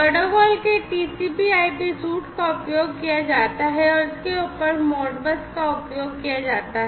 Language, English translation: Hindi, So, TCP/IP suite of protocols is used and on top of that the Modbus is used